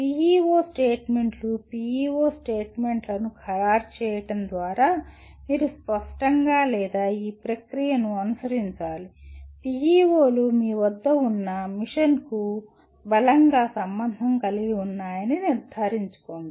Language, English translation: Telugu, That is how the PEO statements, finalizing the PEO statements you have to go through this process of clearly or rather making sure that PEOs are strongly correlated to the mission that you have